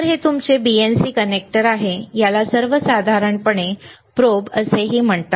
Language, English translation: Marathi, So, this is your BNC connector is called BNC connector, it is also called probe in general,